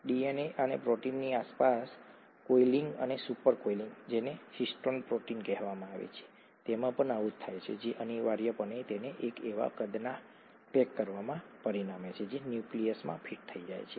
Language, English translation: Gujarati, That’s pretty much what happens with DNA too and the coiling and super coiling and super super super coiling around proteins which are called histone proteins, essentially results in it being packaged into a size that can fit into the nucleus